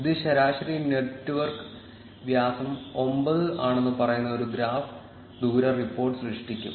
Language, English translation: Malayalam, This will generate graph distance report which says that the average network diameter is 9